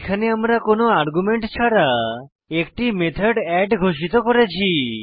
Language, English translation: Bengali, Here we have declared a method called add without any arguments